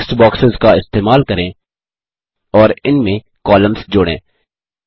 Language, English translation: Hindi, Use text boxes and add columns to it